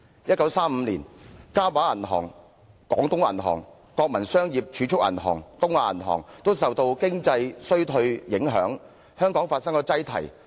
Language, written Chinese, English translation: Cantonese, 1935年，嘉華銀行、廣東銀行、國民商業儲蓄銀行和東亞銀行均受全球經濟衰退影響，在香港的分行發生擠提。, In 1935 the Kah Wah Bank Bank of Canton the National Commercial Savings Bank and the Bank of East Asia were affected by the global economic downturn resulting in runs on their Hong Kong branches